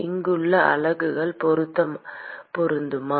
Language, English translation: Tamil, Are the units matching here